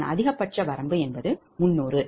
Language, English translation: Tamil, his his maximum is three hundred